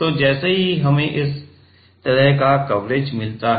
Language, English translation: Hindi, So, let us say we get this kind of coverage